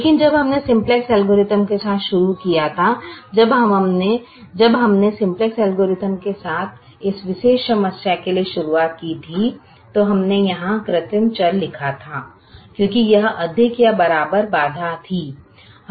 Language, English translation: Hindi, but when we started with the simplex algorithm, when we start with the simplex algorithm for this particular problem, we wrote the artificial variable here because this constraint had greater than or equal to